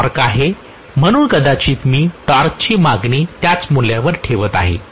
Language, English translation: Marathi, This is the torque so maybe I am going to keep the torque demand at the same value